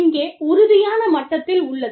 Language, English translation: Tamil, Here, is at the firm level